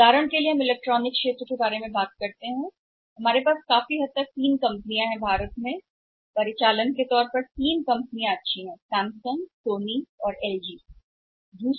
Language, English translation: Hindi, For example we talk about the electronic sector electronics we have largely 3 companies operating in India good companies operating in Indian companies Samsung, Sony and LG